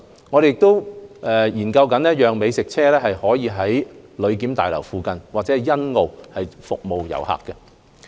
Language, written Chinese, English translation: Cantonese, 我們亦研究讓美食車在旅檢大樓附近和欣澳服務遊客。, We are also exploring the introduction of food trucks to serve travellers near BCF and in Sunny Bay